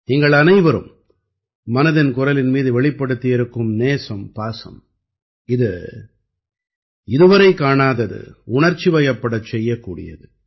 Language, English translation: Tamil, The intimacy and affection that all of you have shown for 'Mann Ki Baat' is unprecedented, it makes one emotional